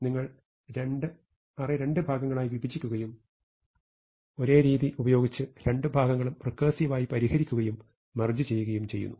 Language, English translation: Malayalam, You break it up in two parts, recursively solve two parts using the same strategy and merge them